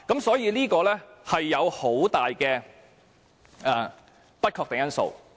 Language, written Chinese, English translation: Cantonese, 所以，當中存在很多不確定因素。, Hence there are lots of uncertainties in the case